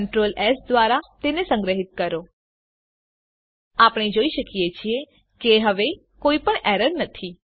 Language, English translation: Gujarati, Save it with Ctrl, S We see that now there is no error